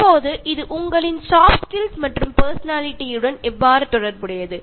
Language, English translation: Tamil, Now how is this related to soft skills and your personality